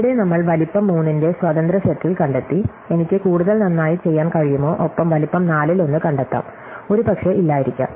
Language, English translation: Malayalam, So, here we have found an independence set of size 3, can I do better can I find one of size 4, maybe, maybe not